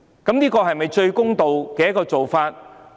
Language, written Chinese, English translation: Cantonese, 這是否最公道的做法？, Is that not the fairest approach?